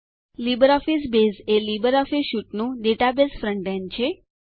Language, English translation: Gujarati, LibreOffice Base is the database front end of the LibreOffice suite